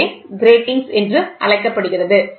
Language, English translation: Tamil, So, this is called as a grating